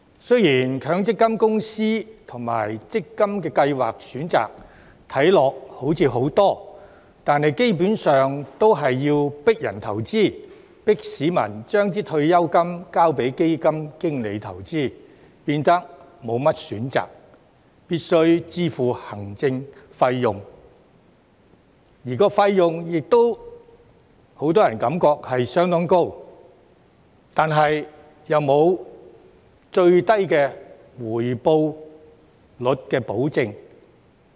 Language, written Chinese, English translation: Cantonese, 雖然強積金公司及強積金計劃的選擇看似很多，但基本上都是要迫人投資、迫市民將退休金交給基金經理投資，變得沒甚麼選擇，必須支付行政費用，而費用亦都讓很多人感覺相當高，但又沒有最低回報率的保證。, Although there appear to be a multitude of choices of MPF companies and MPF schemes they all basically force people to make investment and compel the public to give their retirement funds to fund managers for investment . People end up having little choice and having to pay an administration fee which many of them consider to be quite high but without a guarantee of a minimum rate of return